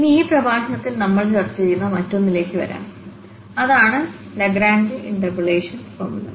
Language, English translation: Malayalam, Now, coming to the other one, which we will also discuss in this lecture, that is the Lagrange interpolation formula